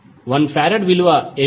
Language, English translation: Telugu, What is the value of 1 farad